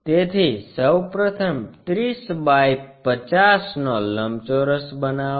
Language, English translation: Gujarati, So, first of all construct 30 by 50 rectangle